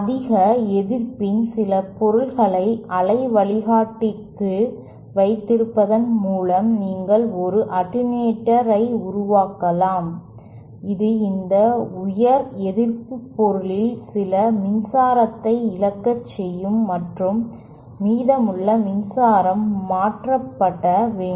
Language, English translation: Tamil, You can make an attenuator by keeping some material of high resistivity within that waveguide, that will cause some of the power to be lost in this high resistivity material and the and the remaining power to be transferred